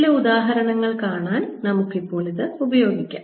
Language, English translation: Malayalam, let us now use this to see some examples